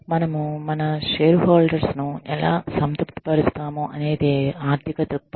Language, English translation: Telugu, Financial perspective is, how do we satisfy our shareholders